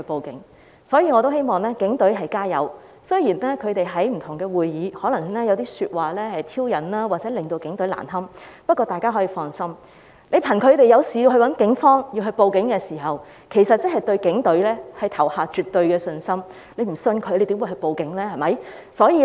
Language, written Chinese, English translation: Cantonese, 因此，我希望警隊加油，雖然反對派可能在不同的會議上說出一些挑釁的話或令警隊難堪，不過大家可以放心，他們遇事便報案找警方幫忙，即是對警隊投下絕對信任的一票，如果不相信警方又怎會報案呢？, Therefore I hope the Police Force will keep its chin up . Although the opposition camp might make some provocative remarks or try to embarrass the Police Force at various meetings we can rest assured as they would report to the Police for assistance whenever they are in trouble which is equivalent to casting a vote of absolute confidence in the Police Force . Would they report a case if they had no trust in the Police?